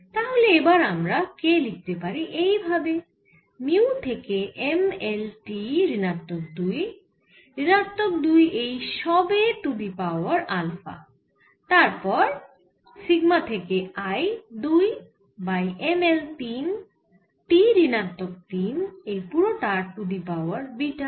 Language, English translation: Bengali, now we can write k like this, dimension of k like this: for mu: m, l, t minus two, i minus two, alpha, and then for sigma is i two divided by m, l, three, t minus three, and for this is again beta, here also all beta